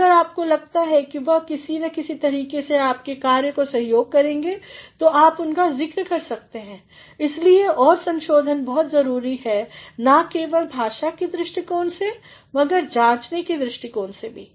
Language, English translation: Hindi, And, if you feel that they are in some way or the other going to support your work you can make a mention of it, that is why and revision is very important not only from the point of view of language but also from point of view of analysis